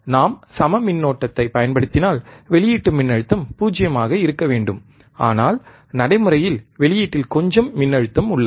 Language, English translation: Tamil, If we apply equal current, output voltage should be 0, but practically there exists some voltage at the output